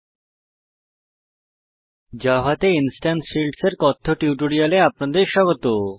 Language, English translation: Bengali, Welcome to the Spoken Tutorial on Instance Fields in Java